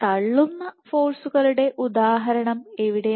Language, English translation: Malayalam, Where would be an example of pushing forces